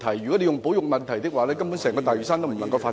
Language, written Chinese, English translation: Cantonese, 如果牽涉保育問題，整個大嶼山根本無法進行發展......, If conservation is involved it is basically impossible for development to take place on the entire Lantau